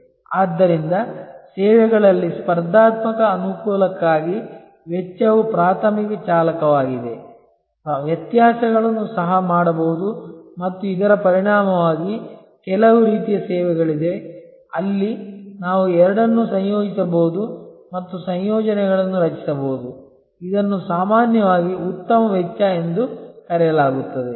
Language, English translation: Kannada, So, cost is the primary driver for competitive advantage in services, differentiations can also be done and as a result there are of course, certain types of services, where we can combine the two and create combinations which are often called best cost